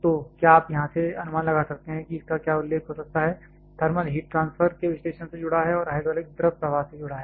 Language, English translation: Hindi, So, can you guess from here what it may refer to of course, thermal is associated with the analysis of heat transfer and hydraulics is associated with fluid flow